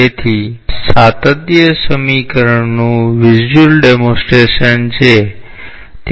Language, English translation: Gujarati, So, this is a visual demonstration of the continuity equation